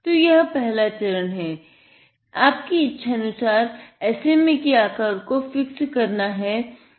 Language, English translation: Hindi, What he does is now; step one is to fix the SMA to the shape what you desire